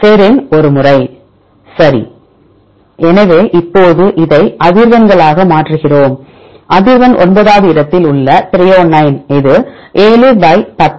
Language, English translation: Tamil, Serine one time, right; so now we convert this into frequencies, right the frequency of threonine at position 9 this equal to 7 / 10 = 0